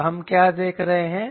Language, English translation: Hindi, and we know that